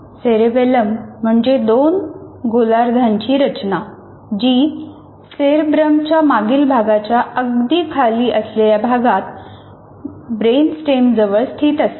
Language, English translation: Marathi, His two hemisphere structure located just below the rear part of the cerebrum right behind the brain stem